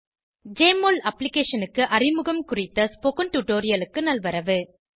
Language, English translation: Tamil, Welcome to this tutorial on Introduction to Jmol Application